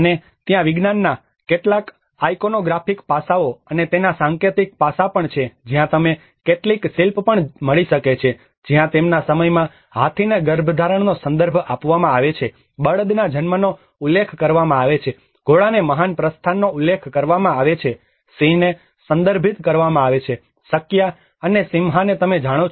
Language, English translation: Gujarati, \ \ \ And there are also some iconographic aspects of science and symbolic aspects of it where you can find some sculpture as well where in their time elephant is referred to the conception, bull is referred to nativity, horse is referred to great departure, lion is referred to Sakya and Simha you know